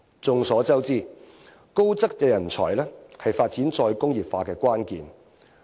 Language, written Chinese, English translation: Cantonese, 眾所周知，高質素人才是發展再工業化的關鍵。, It is widely known that high calibre talents are the essence of re - industrialization